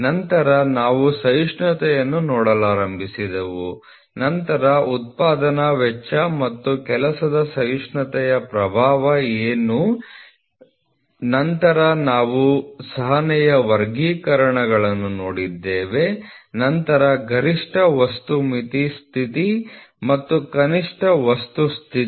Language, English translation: Kannada, Then we started looking into tolerance, then what are the influence of manufacturing cost and working tolerance then we saw the classification of tolerance, then maximum material limit condition and minimum material condition